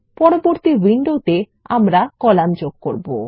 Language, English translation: Bengali, In the next window, we will add the columns